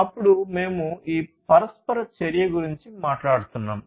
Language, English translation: Telugu, Then we are talking about this interaction